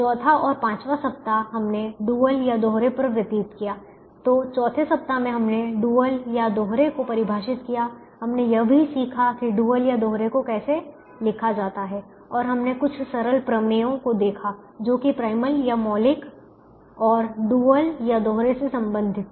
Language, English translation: Hindi, so in the fourth week we define the dual, we also learnt how to write the dual and we saw some some simple theorems that related to primal and the dual